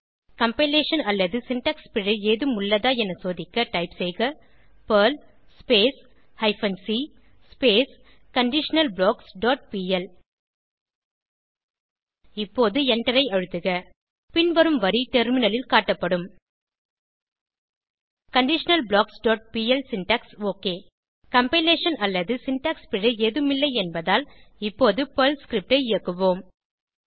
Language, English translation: Tamil, and type perl hyphen c conditionalBlocks dot pl to check for any compilation or syntax error now, press Enter The following line will be displayed on the terminal conditionalBlocks.pl syntax OK As there is no compilation or syntax error, we will now execute the Perl script